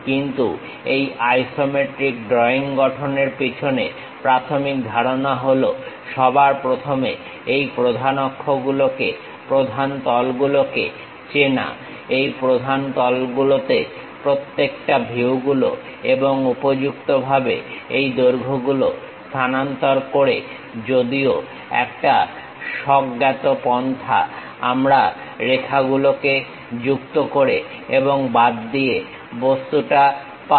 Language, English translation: Bengali, But the basic concepts behind these isometric drawings are first of all identifying these principal axis, principal planes, suitably transferring these lengths from each of these views onto these principal planes, through intuitive approach we will join remove the lines and get the object